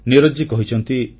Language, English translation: Odia, Neeraj ji has said